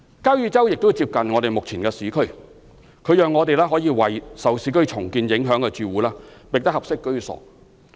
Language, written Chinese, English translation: Cantonese, 交椅洲亦接近目前的市區，可以讓我們為受市區重建影響的住戶覓得合適居所。, Furthermore the close proximity of Kau Yi Chau to urban areas allows us to provide suitable housing to households affected by urban redevelopment